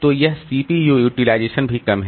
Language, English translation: Hindi, So, this CPU utilization is also low